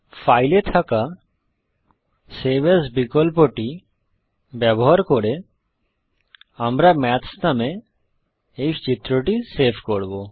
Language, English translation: Bengali, Using the save as option on file, we will save this figure as maths